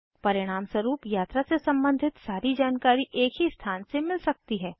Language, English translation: Hindi, As a result all travel information can be maintained in one place